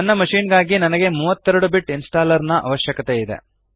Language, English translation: Kannada, For my machine, I need 32 Bit installer